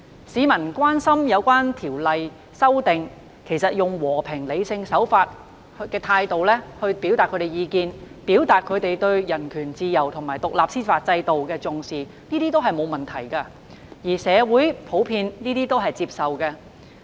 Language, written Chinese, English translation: Cantonese, 市民關心《逃犯條例》的修訂，以和平、理性的手法和態度表達意見，表達對人權、自由及獨立司法制度的重視，這些都沒有問題，而且為社會普遍接受。, It is fine and acceptable for the public to voice their opinions on the amendments to FOO and state emphasis on human rights freedom and an independent judicial system in a peaceful and rational manner